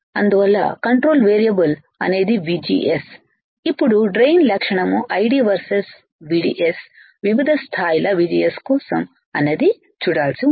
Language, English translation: Telugu, So, control variable is my VGS now drain characteristic is 6 I D versus VDS for various levels of VGS that is we have to see